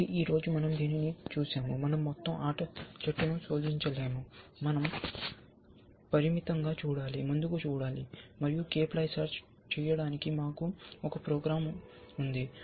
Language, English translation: Telugu, So today, we have seen this, that we cannot search the entire game tree, we have to do a limited look up, look ahead, and we have a program to do k ply search